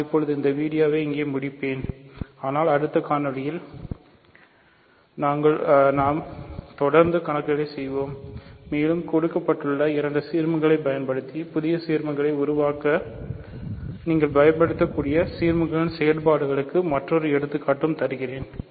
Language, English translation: Tamil, I will now end this video here, but in the next video we will continue doing problems, and I will give you another example of operations on ideals that you can use to produce new ideals using two given ideals